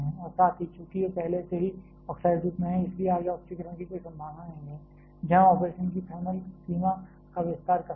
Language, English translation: Hindi, And also, as their already in the oxide form so, there is no possibility of any further oxidation; there by expanding the thermal limit of operation